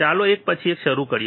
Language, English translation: Gujarati, Let us start one by one